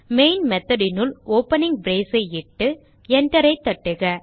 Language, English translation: Tamil, Inside the main method type an opening brace and hitEnter